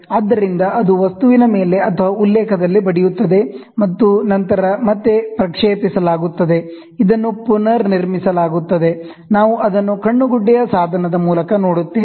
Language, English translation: Kannada, So, it goes hits at the object or at reference, and then this gets projected back, this is reconstructed, and then we watch it through the eyepiece